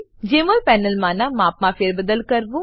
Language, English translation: Gujarati, * Resize the Jmol panel